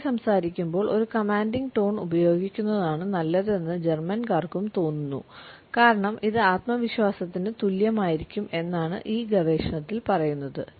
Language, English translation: Malayalam, Germans also feel according to this research that using a commanding tone is better while a person is speaking, because it would be equated with self confidence